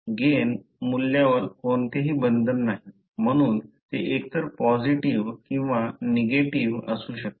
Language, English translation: Marathi, There is no restriction on the value of the gain, so it can be either positive or negative